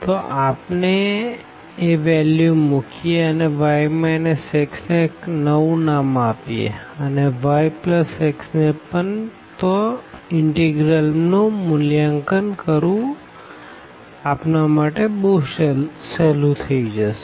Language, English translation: Gujarati, So, if we substitute, we give a new name to y minus x and also to y plus x then perhaps this integral will become easier to compute